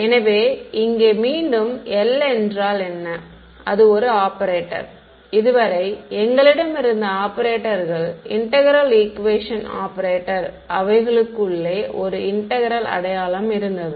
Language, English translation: Tamil, So, the recap over here, what was L was an operator right so, far the operators that we had seen were integral equation operator they had a integral sign inside it ok